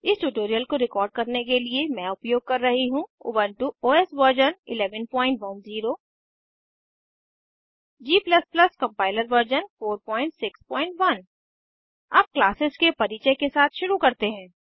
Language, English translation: Hindi, To record this tutorial, I am using Ubuntu OS version 11.10 g++ compiler version 4.6.1 Let us start with the introduction to classes